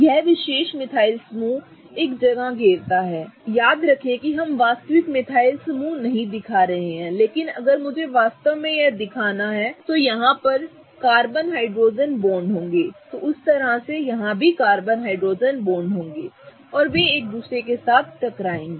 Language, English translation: Hindi, This particular methyl group occupies a space, okay, remember we are not showing the actual methyl group but if I had to really show it, remember there would be carbon hydrogen bonds here, same way there would be carbon hydrogen bonds here and they would clash with each other